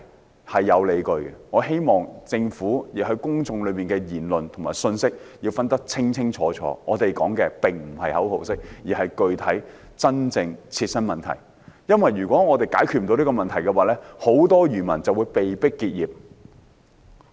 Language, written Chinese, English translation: Cantonese, 不，是有理據的，我希望政府把公眾言論和信息清楚分開，我們說的並非口號式的反對，而是具體、真正的切身問題，因為如果我們不能解決這些問題，很多漁民會被迫結業。, Yes they do have good justifications . I hope that the Government can clearly differentiate public opinions and messages . What we wish to raise is not sloganeering opposition but specific problems of immediate concern to us because if we cannot resolve these problems many fishermen will be forced to lose their livelihoods